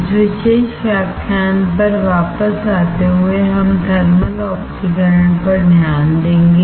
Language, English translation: Hindi, Coming back to this particular lecture, we will look into thermal oxidation